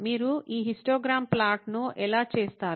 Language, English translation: Telugu, How do you do this histogram plot